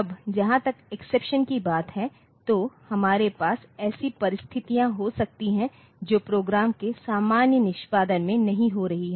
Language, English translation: Hindi, Now, in as far as exceptions are concerned so, we can have the situations which are not occurring in the normal execution of programs